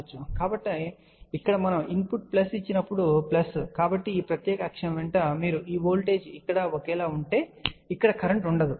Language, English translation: Telugu, So, here when we give the input plus plus, so along this particular axis you can say that there will be if this voltage is same here there will be no current over here